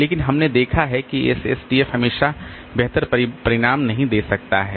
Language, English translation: Hindi, But we have seen that SSTF may not give always the better result